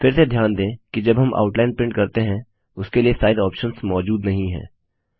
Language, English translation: Hindi, Notice once again, that Size options are not available when we print Outline